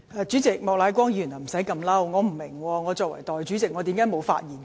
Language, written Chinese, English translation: Cantonese, 主席，莫乃光議員不用如此動氣，我不明白為何我作為代理主席便沒有發言權。, President Mr Charles Peter MOK should not be so annoyed . I do not understand why I should not have the right to speak in my capacity as Deputy President